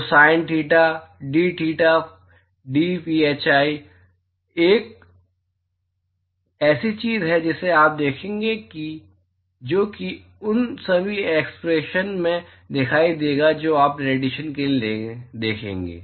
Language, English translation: Hindi, So, the sin theta dtheta dphi is something that you will see that will appear in all most all the expressions that you will see for radiation